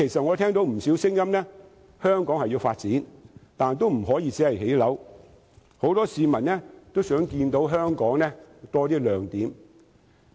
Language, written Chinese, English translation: Cantonese, 我聽到不少聲音均認為香港需要發展，但不可以只興建房屋，很多市民也想看到香港有更多亮點。, I have heard quite a number of voices which hold that Hong Kong needs development but we cannot only construct housing units . Many members of the public also wish to see more attractions in Hong Kong